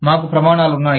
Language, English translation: Telugu, We have standards